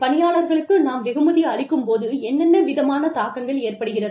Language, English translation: Tamil, What are the implications, when we reward employees